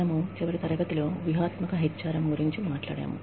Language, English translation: Telugu, We talked about, strategic HRM, in the last class